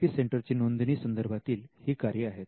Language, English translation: Marathi, Now, these are the registration related functions of an IP centre